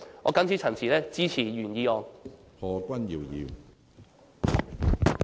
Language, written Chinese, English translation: Cantonese, 我謹此陳辭，支持原議案。, With these remarks I support the original motion